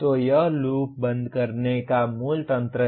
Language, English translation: Hindi, So that is the basic mechanism of closing the loop